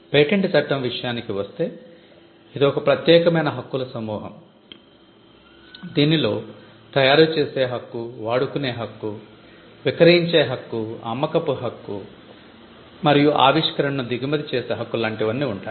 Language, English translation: Telugu, If the mark is well know if it is a reputed mark the exclusive set of rights when it comes to patent law, on a patent pertain to the right to make, the right to sell the right to use, the right to offer for sale and the right to import an invention